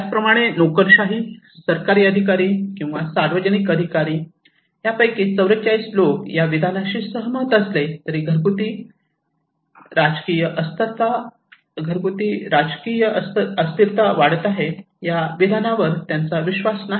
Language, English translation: Marathi, Whereas the bureaucrats or the government officials, public officials, 44% of them agreed with this statement, they do not believe domestic political instability is increasing